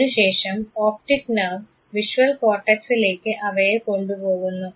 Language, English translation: Malayalam, There after the optic nerve carries the signal to visual cortex